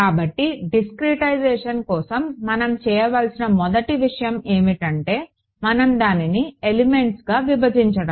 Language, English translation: Telugu, So, for discretization the first thing that we have to that we have already seen as discretization involves splitting it into elements right